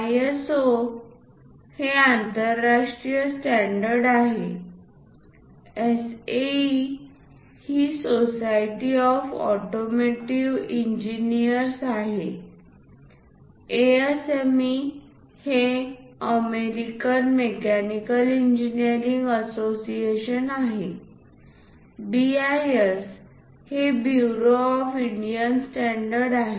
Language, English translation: Marathi, ISO is International Standards, SAE is Society of Automotive Engineers, ASME is American Mechanical engineering associations and BIS is Bureau of Indian Standards